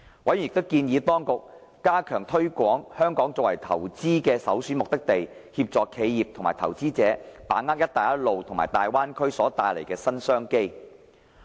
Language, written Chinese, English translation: Cantonese, 委員亦建議當局加強推廣香港作為投資的首選目的地，協助企業及投資者把握"一帶一路"和大灣區所帶來的新商機。, Members also suggested that the authorities should step up their effort to promote Hong Kong as an investment destination to capitalize on new business opportunities arising from initiatives such as the Belt and Road and the Greater Bay Area